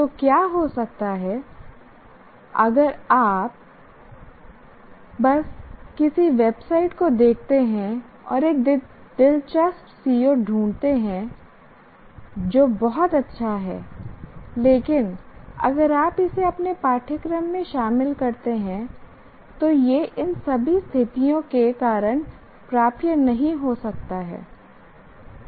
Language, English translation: Hindi, So what can happen is if you just look at some internet, some website and find an interesting CVO which is very good, but if you just incorporate it into your course, it may not be attainable because of all these conditions